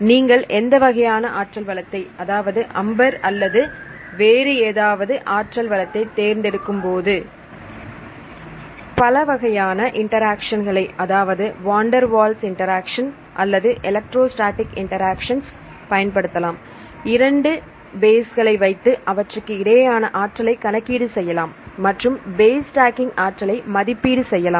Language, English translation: Tamil, So, you can calculate this choosing any potential, AMBER potential or any potentials, you can use the different types of interactions like van der Waals interaction or electrostatic interactions right and if you put this 2 bases and then you can calculate the energy between them, and estimate the you can estimate the base stacking energy